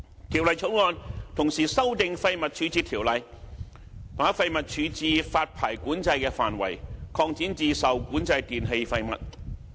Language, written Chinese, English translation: Cantonese, 《條例草案》同時修訂《廢物處置條例》，把廢物處置發牌管制的範圍擴展至受管制電器廢物。, Concurrently the Waste Disposal Ordinance WDO was amended by the Bill to extend the waste disposal licensing control to the disposal of regulated e - waste